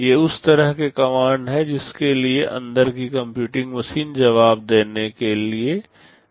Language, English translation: Hindi, These are the kind of commands that those computing machines inside are responsible to respond to